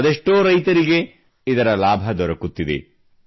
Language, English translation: Kannada, So many farmers are benefiting from this